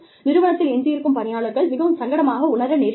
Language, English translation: Tamil, The people, who are left behind, may feel uncomfortable